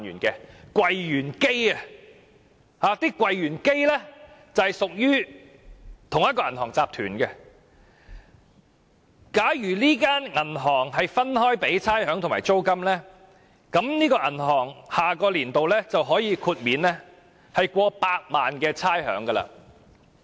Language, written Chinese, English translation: Cantonese, 這些櫃員機均屬於同一銀行集團，假如這銀行分開繳付櫃員機的差餉和租金，下年度可豁免超過百萬元的差餉。, All such ATM machines belong to the same banking group . If the banking group pays the rates and rent of each machine separately it will be exempted from paying over 1 million in rates next year